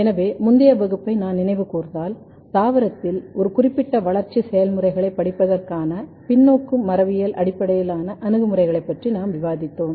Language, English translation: Tamil, So, if I recall previous class, we were discussing about the reverse genetics based approaches to study a particular developmental processes in plant